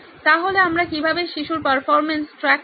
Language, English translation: Bengali, So how do we track the performance of the child